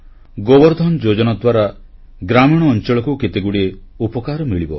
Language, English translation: Odia, Under the aegis of 'GobarDhanYojana', many benefits will accrue to rural areas